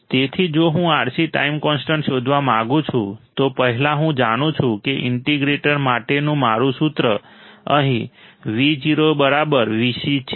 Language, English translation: Gujarati, So, if I want to find the R C time constant, first I know that my formula for integrator is Vo equals to V c right here